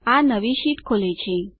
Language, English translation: Gujarati, This opens the new sheet